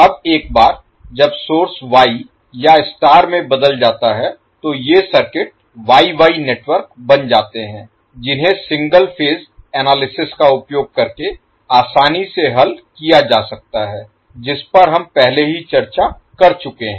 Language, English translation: Hindi, Now once the source is transformed into Y or star, these circuit becomes Y Y network which can be easily solved using single phase analysis which we have already discussed